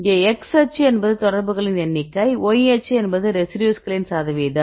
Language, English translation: Tamil, Here if you see the x axis the number of contacts y axis a percentage of residues right